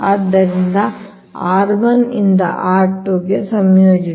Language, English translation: Kannada, so integrate from r one to r two